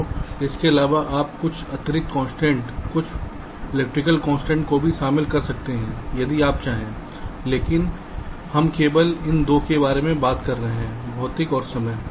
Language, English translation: Hindi, so in addition, you can also incorporate some additional constraints, some electrical constraints if you want, but we only talk about these two here: physical and timing